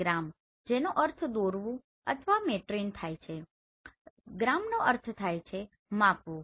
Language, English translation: Gujarati, Gramma that means to draw, metrein that means to measure